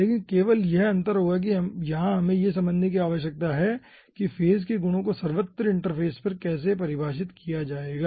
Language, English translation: Hindi, okay, but only difference will be that here we need to consider that how, ah the phase properties across the interface will be defined